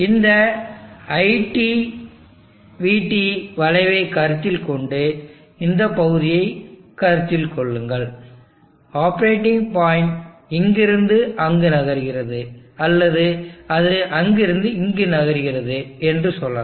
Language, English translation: Tamil, Consider this IT, VT curve, and consider this region, let us say the operating point is moving from here to here, or it moving from here to here